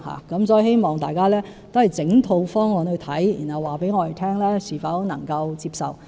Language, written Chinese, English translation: Cantonese, 因此，我希望大家審視整套方案，然後告訴我們是否能夠接受。, Hence I hope Members will examine the proposal as a whole and let us know if the proposal is acceptable